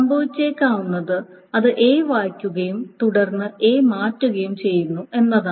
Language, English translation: Malayalam, And what may happen is that it reads A and then A is changed